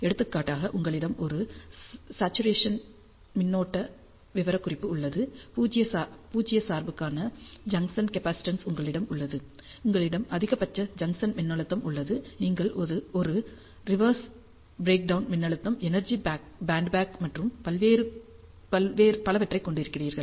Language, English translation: Tamil, For example, you have a saturation current specification, you have ah the junction capacitance for 0 bias, you have the maximum junction voltage, then you have a reverse breakdown voltage the energy band gap and so on